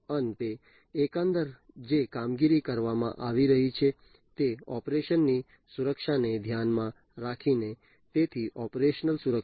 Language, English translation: Gujarati, And finally, overall the operations that are being carried on security of the operation, so operational security